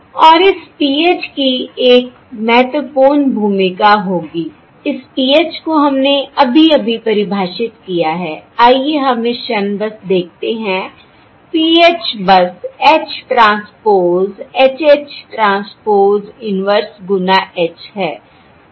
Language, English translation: Hindi, And this PH will have an important role to play, which we have just defined, this PH, let us simply, at this moment, PH is simply H transpose H, H transpose inverse times H